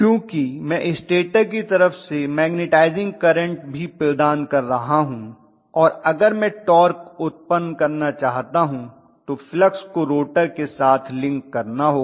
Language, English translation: Hindi, Because I am providing the magnetizing current also from the stator side and necessarily that flux has to link with the rotor if I want to generate a torque